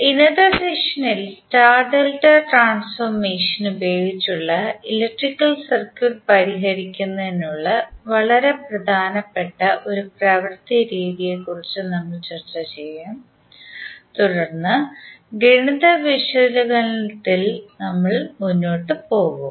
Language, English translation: Malayalam, So in today’s session, we will discuss about 1 very important technique for solving the electrical circuit that is star delta transformation and then we will proceed for our math analysis